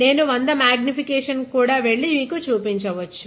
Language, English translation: Telugu, I can even go to 100 x magnifications and show you